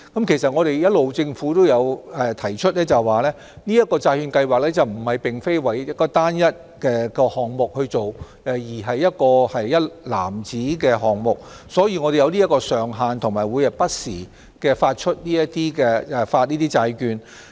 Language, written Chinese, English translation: Cantonese, 政府一直也有提出，此債券計劃並非為單一項目去做，而是一籃子的項目，所以我們會設有上限，並會不時發行有關的債券。, As the Government has consistently pointed out the bond programme does not serve a single project but a basket of them . Hence there will be a borrowing ceiling and bonds will be issued from time to time